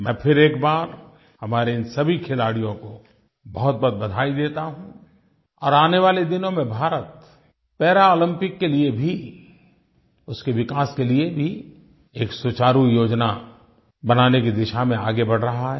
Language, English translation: Hindi, I once again congratulate all our Paralympic athletes and India is progressing in the direction of preparing an effective plan for developing our athletes and also the facilities for the Paralympics